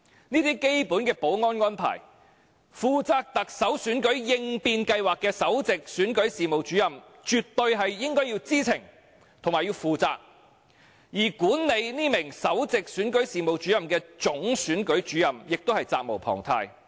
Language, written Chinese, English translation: Cantonese, 這些基本的保安安排，負責行政長官選舉應變計劃的首席選舉事務主任絕對應該知情和負責，而管理這名首席選舉事務主任的總選舉事務主任亦責無旁貸。, The Principal Electoral Officer who is responsible for the contingency plans of the Chief Executive Election should be aware of and responsible for these basic arrangements and the Chief Electoral Officer managing this Principal Electoral Officer is also duty - bound